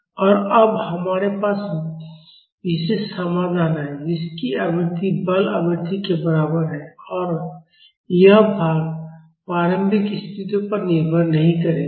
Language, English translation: Hindi, And now, we have the particular solution, which is having a frequency equal to the forcing frequency and this part will not depend upon the initial condition